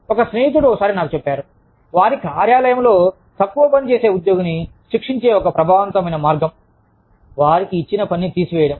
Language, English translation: Telugu, A friend, once told me, that in their office, one very effective way of punishing, low performing employee, was to take away the work, that was given to them